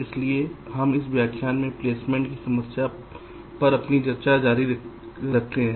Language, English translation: Hindi, so we start our discussion on the placement problem in this lecture